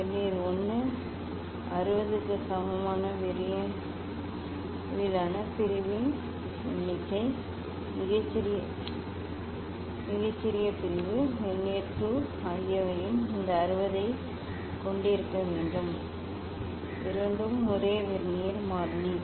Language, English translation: Tamil, We have to note down Vernier 1, number of Vernier scale division equal to 60, smallest division Vernier 2 have also this 60, both are have been same Vernier constant